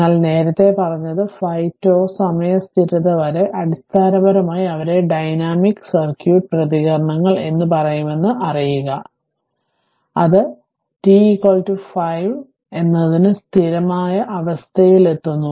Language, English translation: Malayalam, But, you know that say for earlier we have seen that up to 5 tau time constant, basically that responses or the I could say that dynamic res[ponse] circuit responses, it reaches to the steady state right for t is equal to say 5 tau